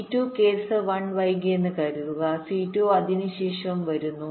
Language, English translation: Malayalam, suppose c two is delayed, case one, c two comes after